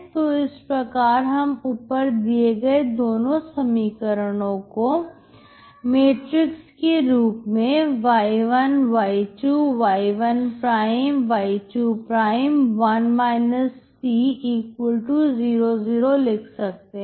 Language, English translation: Hindi, So the above two equation you can write as a matrix [y1y2 y '1y '2 ][1−c]=[00]